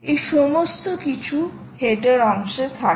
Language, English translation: Bengali, all of this is there in the header part